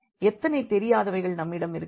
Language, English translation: Tamil, How many unknowns do we have here